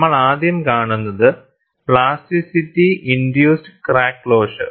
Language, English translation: Malayalam, And, we will first see, plasticity induced crack closure